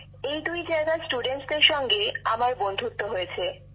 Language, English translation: Bengali, I have become friends with the students at both those places